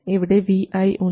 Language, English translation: Malayalam, So, VGS equals VI